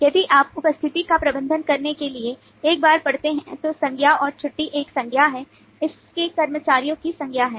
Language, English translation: Hindi, once, to manage the attendance is a noun and leave is a noun, of its employees is a noun